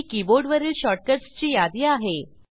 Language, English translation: Marathi, Here is the list of keyboard shortcuts